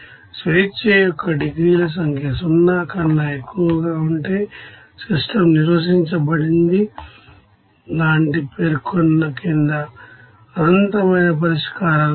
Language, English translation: Telugu, If number of degrees of freedom is greater than 0, the system is under defined, that means under specified, there are an infinite number of solutions